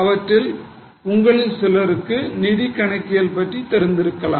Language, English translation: Tamil, Some of you might be knowing about financial accounting